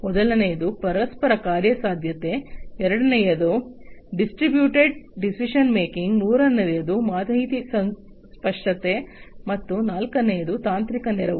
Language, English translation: Kannada, Number one is interoperability, second is distributed decision making, third is information clarity, and fourth is technical assistance